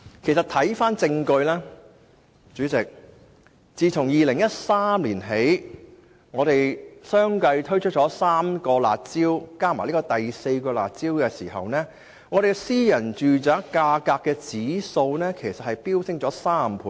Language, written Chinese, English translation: Cantonese, 主席，一些證據顯示，我們自2013年起先後3次推出"辣招"，再加上這次的第四項"辣招"，私人住宅價格指數已飆升3倍。, Chairman as indicated by some data after implementing three curb measures since 2013 and coupled with the proposed fourth curb measure the price index of private residential properties has increased by threefold